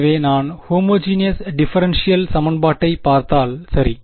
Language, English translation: Tamil, So, if I look at the homogeneous differential equation ok